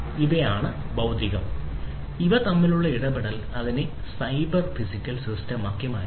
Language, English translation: Malayalam, This is the physical space, right and the interaction between them will make it the cyber physical system